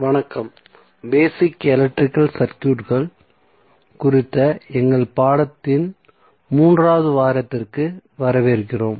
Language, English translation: Tamil, Namashkar, so welcome to the 3 rd week of our course on basic electrical circuits